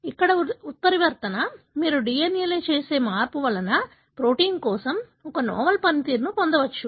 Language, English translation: Telugu, Here the mutation, the change that you see in the DNA could result in the gain of a novel function for the protein